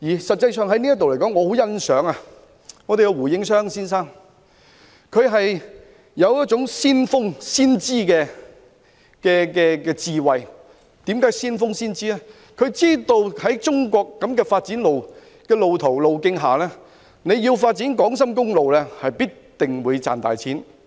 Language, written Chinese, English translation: Cantonese, 實際上，在這方面，我很欣賞胡應湘先生，他有一種先鋒、先知的智慧，知道按照中國的發展路徑，發展港深公路，必定會賺大錢。, In fact I admire Mr Gordon WU on this front . With his pioneering and prophetic wisdom he knew that according to Chinas route of development it would definitely be hugely profitable to develop a highway between Hong Kong and Shenzhen